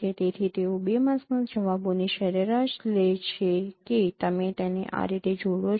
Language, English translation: Gujarati, So, they take average of responses of two masks, that is how you combine them